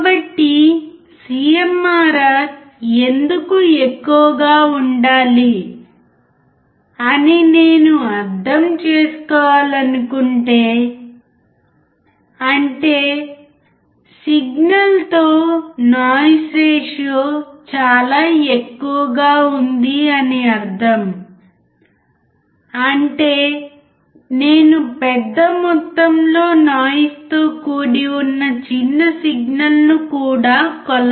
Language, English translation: Telugu, So, if I want to understand why CMRR should be extremely high; that means, its signal to noise ratio is extremely high; that means, I can measure the small signal in presence of huge noise